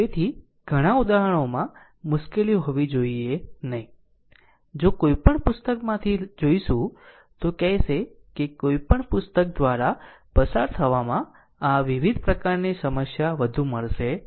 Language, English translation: Gujarati, So, many examples giving such that you should not face any problem, if you go through any book I will say that any book you go through you will not get more than this kind of variation in the problem